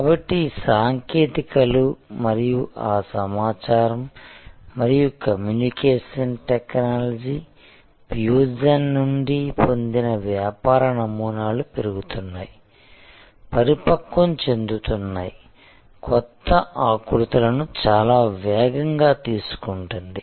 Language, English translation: Telugu, So, these technologies and the business models derived from those information and communication technology fusion are growing maturing taking new shapes very, very rapidly